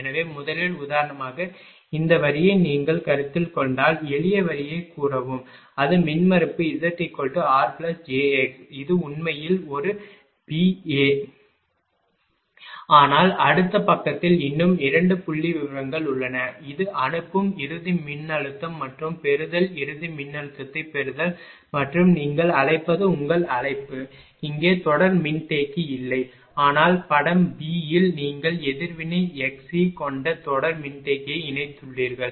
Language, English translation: Tamil, So, first for example, if you consider this line say simple line say it is impedance z is given r plus j; this is actually figure one a b, but two more figures are there in the next page and this is the sending end voltage and receiving the receive the receiving end voltage and there is ah your what you call; no series capacitor here, but in the figure b here you have connected a series capacitor having reactants x c